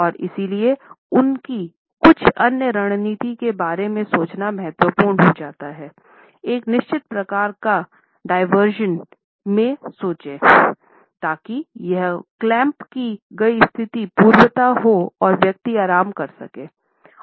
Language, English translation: Hindi, And therefore, it becomes important to think of his certain other strategy to think for certain type of a diversion so that this clamped position can be undone and the person can be relaxed in body language